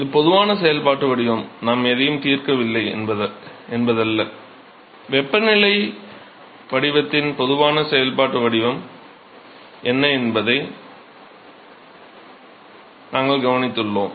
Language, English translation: Tamil, So, this is the general functional form, not that we are not solved anything, we have just observed what is the general functional form of the temperature profile